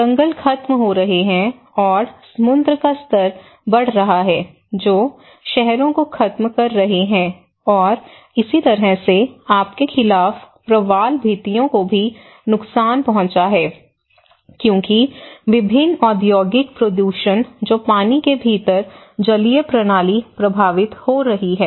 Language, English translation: Hindi, So that has becoming that is killing the forest and the seas have been raising that is eating out the city, and in that way, the coral reefs against thy are also damaged because of various industrial pollution which is happening within water and that is affecting the aquatic system